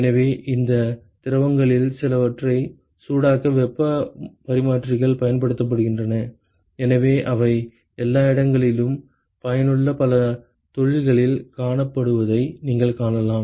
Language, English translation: Tamil, So, heat exchangers are used in order to heat some of these fluids and therefore, you can see that they are ubiquitously found in lot of industries which is useful